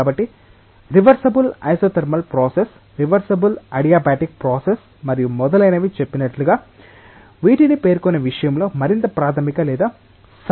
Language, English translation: Telugu, So, there are more fundamental or correct definitions of these in terms of specifying it as say either a reversible isothermal process, reversible adiabatic process and so on